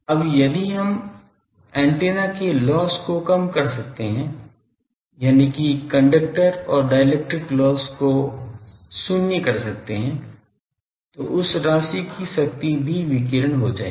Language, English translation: Hindi, Now, if we can make antenna loss less, that is conductor and dielectric loss to zero, then that amount of power also will get radiated